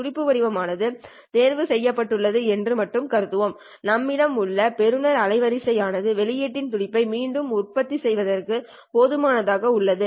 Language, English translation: Tamil, We will assume that the pulse shape has been chosen and we have the receiver bandwidth that is sufficient in order to reproduce this pulse at the output